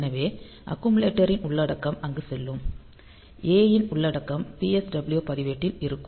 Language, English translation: Tamil, So, there the content of accumulator will the will go there; so, if we put the content of A into the PSW register